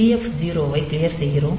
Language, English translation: Tamil, So, TF 0 will be also be cleared